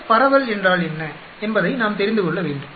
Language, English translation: Tamil, We need to know what is F distribution